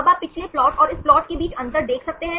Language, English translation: Hindi, Now can you see the difference between the previous plot and this plot